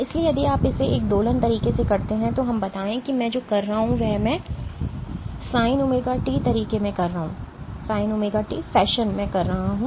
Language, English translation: Hindi, So, if you do it in an oscillator way, let us say what I am doing is I am doing it in a Sin wt fashion